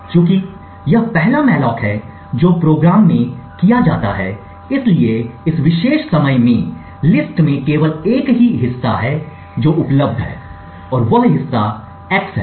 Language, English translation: Hindi, Since this is the first malloc that is done in the program therefore in this particular point in time the list has just one chunk that is available and that chunk is x